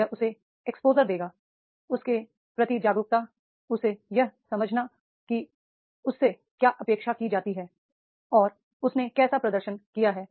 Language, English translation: Hindi, This will give us to exposure to him, awareness to him, understanding to him that is what is expected from him and what he has to how he has performed